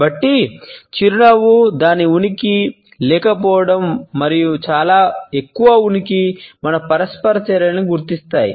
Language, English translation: Telugu, So, you would find that the smile, its presence, its absence, and too much presence are all noted by all our interactants